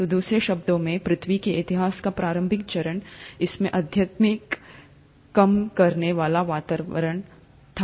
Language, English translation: Hindi, So in other words, the initial phase of earth’s history, it had a highly reducing environment